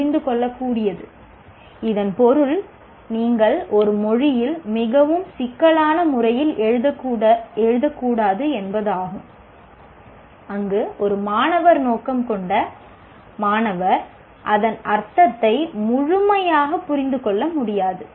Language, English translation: Tamil, It means you should not write the language in a very complicated way where a student for whom it is intended, he is not able to fully understand the meaning of that